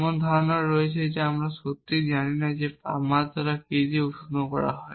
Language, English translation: Bengali, There is also the notion of we do not really know what temperature does warm begin with